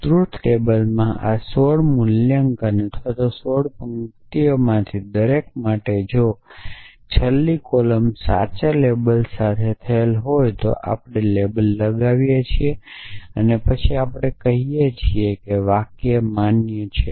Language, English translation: Gujarati, For each of these 16 valuations or each of the sixteen rows in the truth table if the last column is label with true then we label then we say the sentence is valid